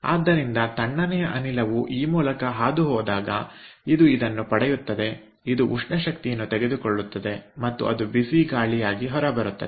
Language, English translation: Kannada, so when the cold gas will pass through this, it will get this, it will pick up thermal energy and it will come out as hot air